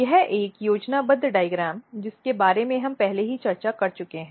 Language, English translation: Hindi, So, this is a schematic diagram which we have already discussed